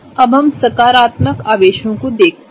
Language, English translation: Hindi, Now, let us look at the positive charges